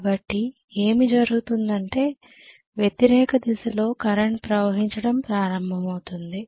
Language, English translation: Telugu, So what will happen is the current will start flowing in the opposite direction